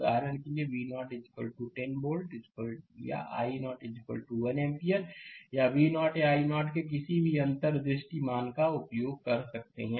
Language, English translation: Hindi, For example, we may use V 0 is equal to 10 volt or i 0 is equal to 1 ampere or any unspecified values of V 0 or i 0 right